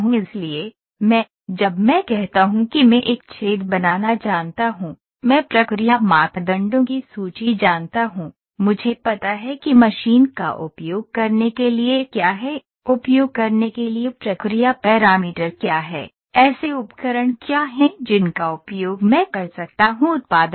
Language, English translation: Hindi, So, I, when I say I know to create a hole, I know the list of process parameters, I know what is the machine to use, what is the process parameter to use, what are the toolings to be use such that I get the output